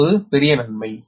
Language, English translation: Tamil, this is a major advantage, right